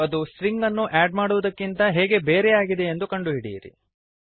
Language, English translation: Kannada, Find out how is it different from adding strings